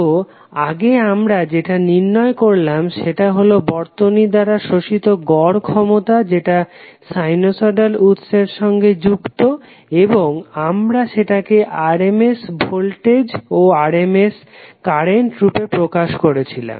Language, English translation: Bengali, So earlier what we derive was the average power absorbed by the circuit which is excited by a sinusoidal signal and we express them in the form of voltage rms voltage and current